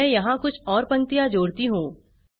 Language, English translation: Hindi, Let me add few more lines here